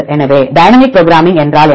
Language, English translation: Tamil, So, what is dynamic programming